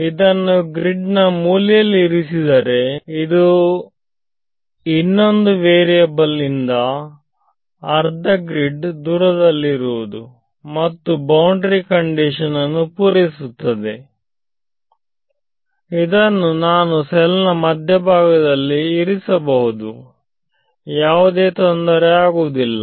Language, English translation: Kannada, So, at the corner of the grid if I put it let us say here, it is still half a grid away from the other variables and its you know helpful in satisfying boundary condition; I could put it also in the middle of the cell there is no problem ok